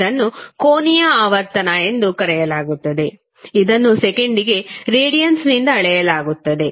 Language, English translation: Kannada, Omega is called as angular frequency which is measured in radiance per second